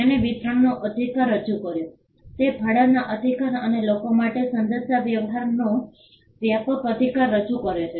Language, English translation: Gujarati, It introduced the right of distribution; it introduced the right of rental and a broader right of communication to the public